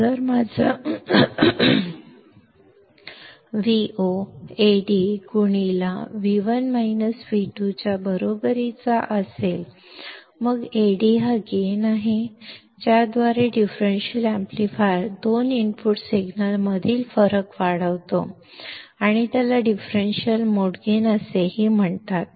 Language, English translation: Marathi, So, if my Vo equals to Ad into V1 minus V2; then Ad is gain with which the differential amplifier, amplifies the difference between two input signals and it is also called as the differential gain